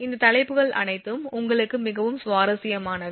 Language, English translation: Tamil, All these topics are of highly you know interesting